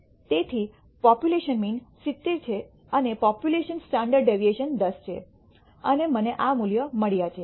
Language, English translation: Gujarati, So, the population mean is 70 and the population standard deviation is 10 and I got these values